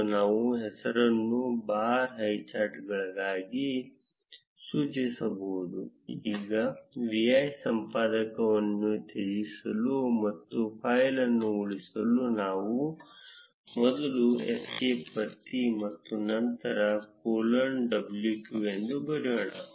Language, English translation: Kannada, And we can specify the name as bar highcharts, now to quit the vi editor and save the file; let us first press escape and then write colon w q